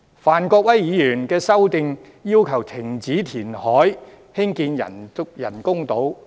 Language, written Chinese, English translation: Cantonese, 范國威議員的修正案要求停止填海興建人工島。, Mr Gary FANs amendment requested stopping the construction of artificial islands through reclamation